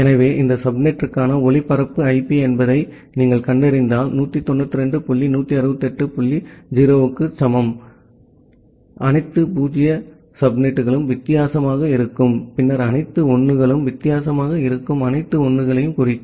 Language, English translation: Tamil, So, if you find out the broadcast IP for this subnet, the all 0 subnet that will be different that will be equal to 192 dot 168 dot 0 then all 1s dot all 1s that would be different